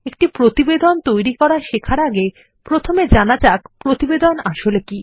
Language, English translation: Bengali, Before learning how to create a report, let us first learn what a report is